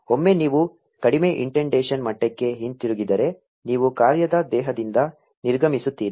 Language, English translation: Kannada, Once you get back to a lower indentation level, you exit the function body